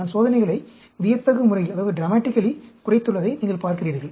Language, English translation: Tamil, You see, I have reduced the experiments dramatically